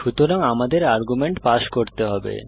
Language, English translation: Bengali, So we need to pass arguments